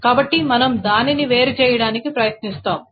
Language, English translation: Telugu, So we will try to isolate it